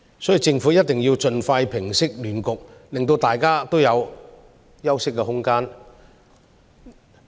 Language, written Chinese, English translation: Cantonese, 所以，政府一定要盡快平息亂局，令大家有休息的空間。, Hence the Government must put an end to the chaos as soon as possible and give us all some time to recuperate